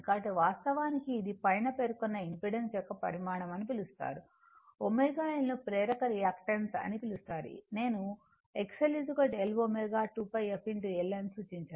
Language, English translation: Telugu, So, this is actually your what you call the magnitude of the above impedance is omega L is called inductive reactance I represented by X L is equal to L omega is equal to 2 pi f into L